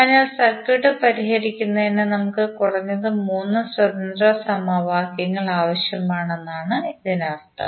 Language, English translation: Malayalam, So, that means that we need minimum three independent equations to solve the circuit